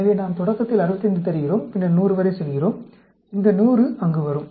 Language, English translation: Tamil, So, we give 65 starting, then, go right up to 100; this 100 will come there